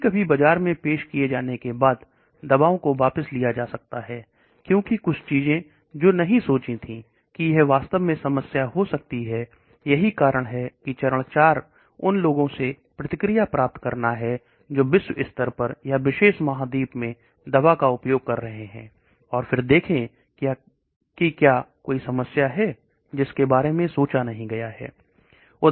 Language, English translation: Hindi, Sometimes drugs after being introduced into the market may be withdrawn, because certain things which have not been thought of it may have been having problems actually, that is why phase 4 is like getting feedback from the people who have been using the drug globally or in particular continent, and then see if there are any problems which has not been thought of